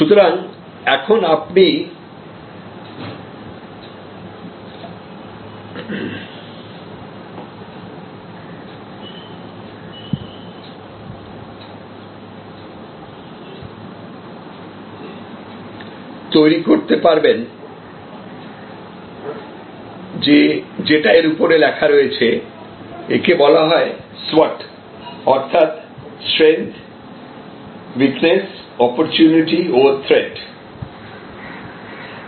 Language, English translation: Bengali, So, with that you can develop this, this is you know on top as is it written, it is called SWOT Strength Weakness Opportunity Threat